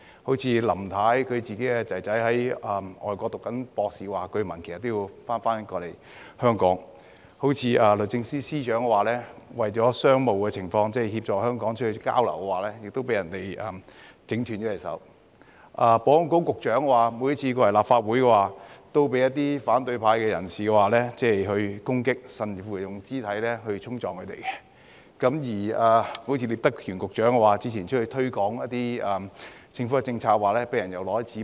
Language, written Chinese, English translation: Cantonese, 例如，林太的兒子在外國修讀博士課程，據聞也要返回香港；律政司司長為了商務，為協助香港而到外地參加交流，也被人整斷手；保安局局長每次來到立法會，也被反對派人士攻擊，甚至用肢體衝撞；聶德權局長之前推廣一些政府政策，被人擲紙杯。, For example Mrs LAMs son who was studying for a PhD abroad was said to have to return to Hong Kong; the Secretary for Justice who was on an exchange trip to promote Hong Kong for business purposes had her arm injured; the Secretary for Security was attacked and even physically assaulted by opposition figures whenever he came to the Legislative Council; and Secretary Patrick NIP was thrown paper cups when he promoted some government policies